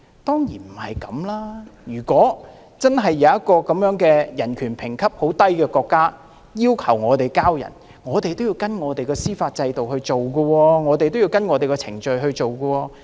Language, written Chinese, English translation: Cantonese, 當然不是這樣，如果真的有一個人權評級很低的國家要求我們移交逃犯，也要按照香港的司法制度和程序來處理。, The answer is certainly in the negative . If a country with very low ranking in human rights requests Hong Kong to surrender a fugitive offender the request has to be processed according to the procedures under the judicial system of Hong Kong